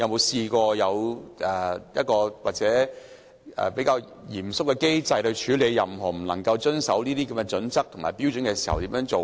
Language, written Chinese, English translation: Cantonese, 是否有一個比較嚴謹的機制處理任何違反《規劃標準》的情況？, Can a more stringent mechanism be put in place to deal with cases of non - compliance of HKPSG?